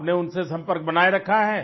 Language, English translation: Hindi, Are you still in touch with them